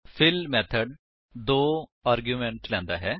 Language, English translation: Punjabi, The fill method takes two arguments